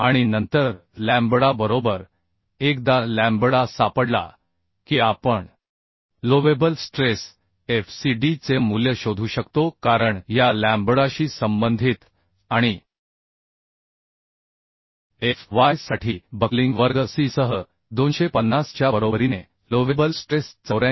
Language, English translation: Marathi, 86 and then lambda right Once lambda is found we can find out the value of allowable stress Fcd because corresponding to this lambda and with buckling class C for Fy is equal to 250 the allowable stress is becoming 84